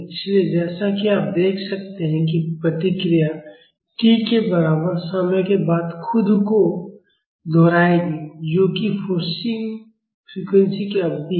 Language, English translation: Hindi, So, as you can see the response will repeat itself after a time equal to t, which is the period of the forcing frequency